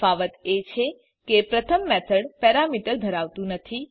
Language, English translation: Gujarati, The difference is that the first method has no parameter